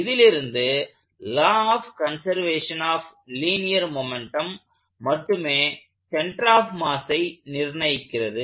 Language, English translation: Tamil, Let us be very clear about that, the law of conservation of linear momentum only determines the center of mass acceleration